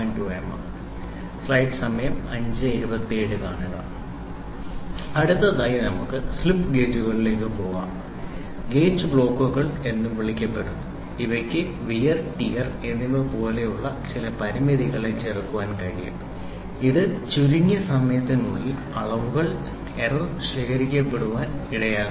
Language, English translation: Malayalam, Next let us move on to slip gauges also called gauge blocks can counter some of the limitations such as wear and tear, which can lead to the accumulation of errors in measurement within a short time